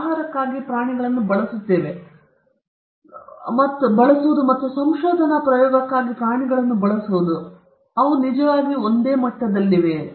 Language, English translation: Kannada, Is using animal for food or using an animal for research experimentation are there are they at the same level